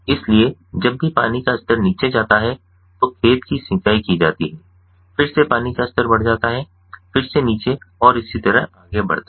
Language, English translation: Hindi, whenever the water level goes down, the field is irrigated again, water level goes up again it goes down, and so on and so forth